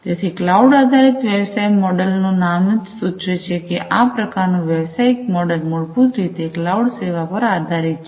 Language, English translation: Gujarati, So, cloud based business model as the name suggests is this kind of business model, basically are heavily based on you know cloud cloud services